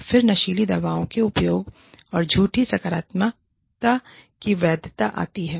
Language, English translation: Hindi, Then, legitimacy of drug use, and false positives